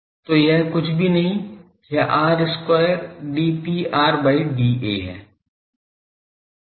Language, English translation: Hindi, So, this is nothing but r square d P r d A